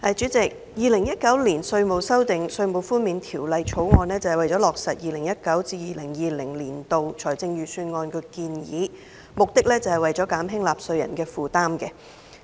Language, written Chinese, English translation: Cantonese, 主席，《2019年稅務條例草案》旨在落實 2019-2020 年度財政預算案的建議，以減輕納稅人的負擔。, President the Inland Revenue Amendment Bill 2019 the Bill originally sought to implement the proposal in the 2019 - 2020 Budget to relieve taxpayers burden